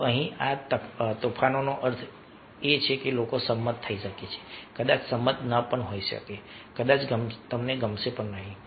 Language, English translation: Gujarati, so here this is the storming means people might agree, might not agree, might like, might not like